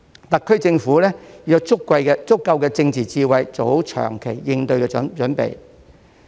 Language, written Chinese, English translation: Cantonese, 特區政府要有足夠的政治智慧，做好長期應對的準備。, The SAR Government should be politically wise enough to prepare for the long haul